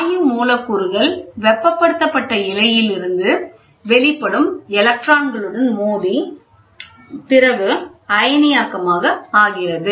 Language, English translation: Tamil, The gas molecules collide with the electrons emitted from the heated filament and becomes ionized